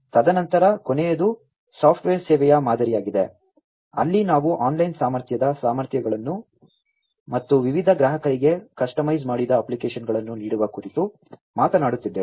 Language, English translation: Kannada, And then the last one is the software as a service model, where we are talking about offering online capable a capabilities and customized applications to different customers